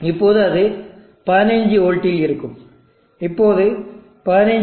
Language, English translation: Tamil, Now that will be at 15v, now 15v 14